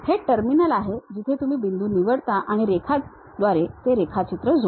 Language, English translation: Marathi, This is the terminal where you pick the point, draw connected by line draw anything you will do it